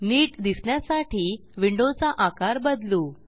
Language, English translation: Marathi, I will resize the window